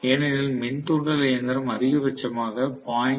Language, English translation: Tamil, Because induction machine, the power factor can be only 0